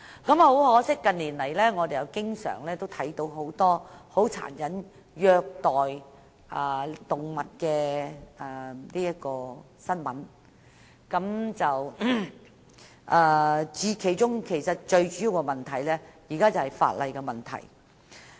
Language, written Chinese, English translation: Cantonese, 很可惜，近年來，我們經常看到很多有關殘忍虐待動物的新聞，而最主要是法例的問題。, It is a shame that recently there are often news reports about animal cruelty cases and the main problem lies with the legislation